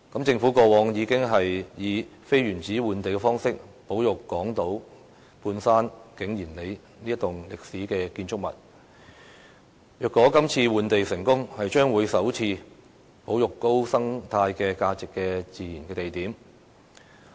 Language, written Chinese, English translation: Cantonese, 政府過往已經以非原址換地方式保育港島半山景賢里這棟歷史建築物，如果這次成功換地，將會是首次保育高生態價值的自然地點。, In the past the Government already resorted to non - in - situ exchange as a means of conserving the historical complex of King Yin Lei in the Mid - Levels on Hong Kong Island . The exchange for land this time around if successful will be the very first time to conserve a natural site with a high ecological value